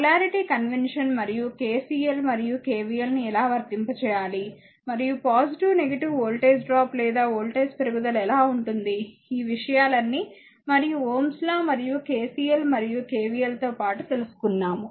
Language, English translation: Telugu, And the all the up and your what you call that your polarity convention, and how to apply KCL and KVL , and the plus minus how will take voltage drop or voltage rise; all this things, and you know along with that ohms law and your KCL and KVL ah, and we will be back again